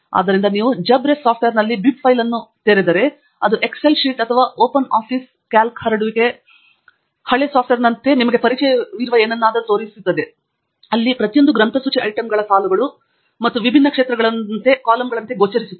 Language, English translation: Kannada, So, if you open the same bib file in JabRef software, then it looks like something familiar to you like an Excel sheet or Open Office Calc spread sheet software, where each of the bibliographic item is appearing as rows and different fields as columns